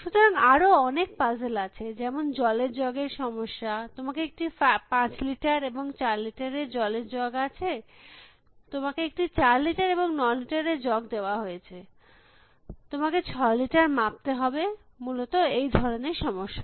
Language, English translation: Bengali, So, there are many other puzzles, the water jug problem you are given a jug 5 litre jug and a 4 litre jug or you have given a 4 litre jug and a 9 litre jug, can you measure out 6 liters, these kind of problems essentially